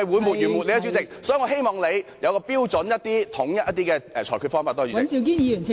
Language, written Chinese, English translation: Cantonese, 所以，我希望你有統一的標準及裁決方法，多謝代理主席。, So I hope you will apply a uniform standard and method of ruling . Thank you Deputy President